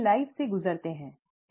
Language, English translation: Hindi, They go through life, right